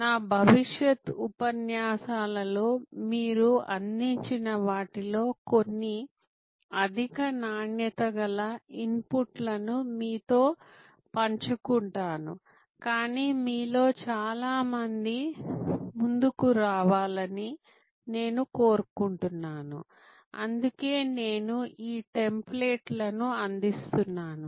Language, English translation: Telugu, Some of those I will be showing in my future lectures, a kind of high quality input that you have provided, but I want many of you to come forward and that is why I am providing these templates